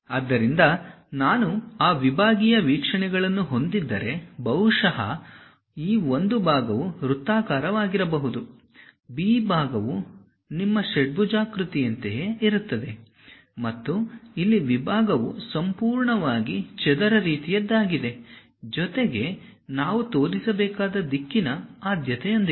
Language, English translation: Kannada, So, if I am having those sectional views, perhaps this A part section might be circular, the B part is something like your hexagon, and here the section is completely square kind of thing, along with the directional preference we have to show